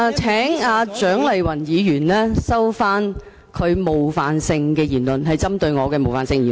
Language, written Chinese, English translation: Cantonese, 請蔣麗芸議員收回她針對我的冒犯性言詞。, I ask Dr CHIANG Lai - wan to withdraw her offensive remark